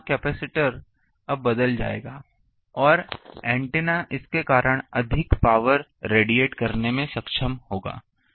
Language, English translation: Hindi, So, this capacitor will now change that and antenna will be able to radiate more power due to this